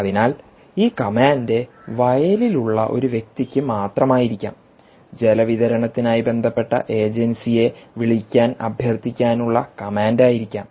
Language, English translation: Malayalam, so this command essentially could be directly to a person ah who is on the field to request him to call up the concerned agency for supply of water